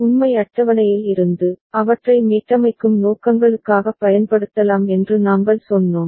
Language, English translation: Tamil, And we told that, from the truth table, they can be used for resetting purposes